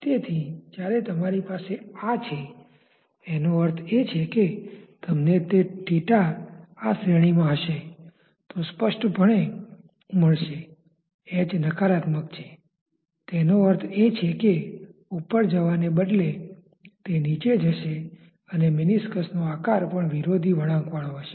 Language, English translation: Gujarati, So, when you have this one; that means, you will get if you have theta in that range obviously, h is negative; that means, instead of rise it is a fall the meniscus shape also will be just curved oppositely